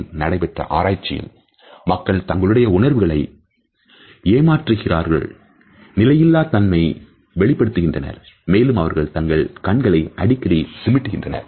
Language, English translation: Tamil, In 2008 study on the topic showed that people who are being deceptive about their emotions display inconsistent expressions and blink more often than those telling